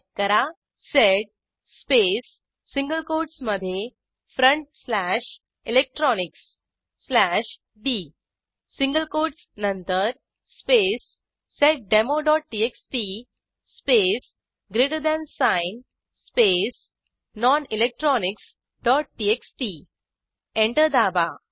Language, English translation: Marathi, Type: sed space within single quotes front slash electronics slash d after the single quotes space seddemo.txt space greater than sign space nonelectronics.txt Press Enter